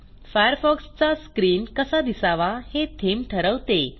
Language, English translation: Marathi, A theme Changes how Firefox looks